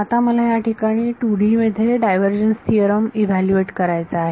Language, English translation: Marathi, Now I want to evaluate this divergence theorem in 2 D over here